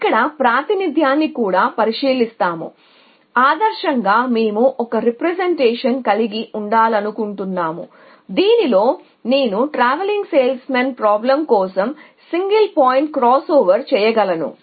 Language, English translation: Telugu, So, will look at representation here also, ideally we would like to have a representation in which I can do single point cross over for TSP